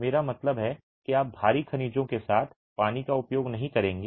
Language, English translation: Hindi, I mean, you are not going to be using water with heavy in minerals